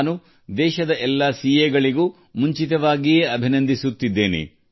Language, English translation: Kannada, I congratulate all the CAs of the country in advance